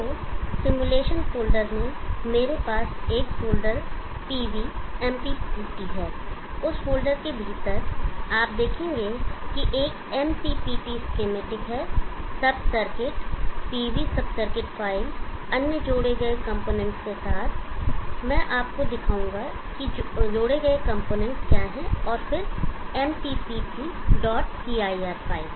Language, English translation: Hindi, So in the simulation folder I have one folder call PV MPPT, within that folder you will see that there is a MPPT is schematic, the sub circuit PV sub circuit file with added components, I will show you what the added components are, and then of course the MPPT